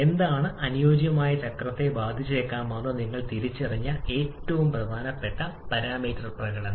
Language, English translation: Malayalam, What is the most important parameter that you have identified that can affect the ideal cycle performance